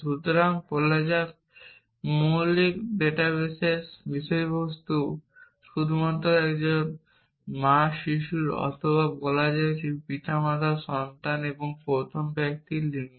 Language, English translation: Bengali, So, let say the basic database only contents a mother child or let say parent child and the gender of each person